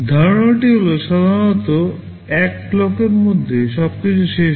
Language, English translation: Bengali, The idea is that normally everything finishes in one clock